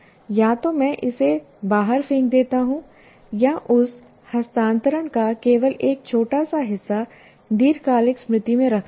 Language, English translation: Hindi, Either I throw it out or only put a bit of that into transfer it to the long term memory